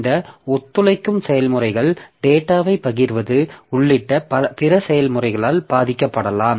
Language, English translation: Tamil, So, this cooperating processes can affect or be affected by other processes including sharing of data